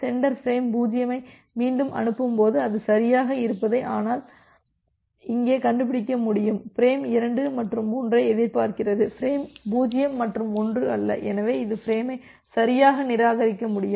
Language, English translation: Tamil, When the sender is re transmitting frame 0 it can correctly find out that it is expecting frame 2 and 3 not frame 0 and 1 so, it can discard the frame correctly